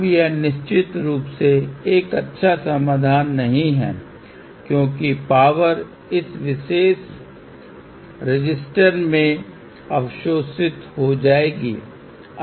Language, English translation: Hindi, Now, this is definitely a definitely a not a good solution because the power will be absorbed in this particular resister